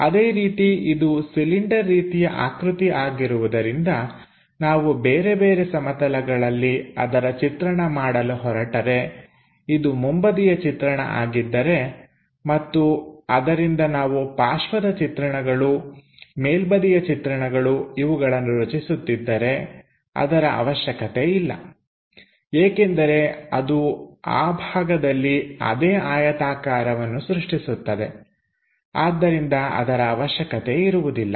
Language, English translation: Kannada, Similarly because it is a cylindrical object, the other view if we are making if this one is the front view and from there if we are making side view, making top view, not necessary because that is anyway going to create same rectangle within that portion